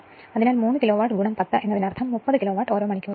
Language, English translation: Malayalam, So, basically 3 Kilowatt into 10 means 30 Kilowatt hour right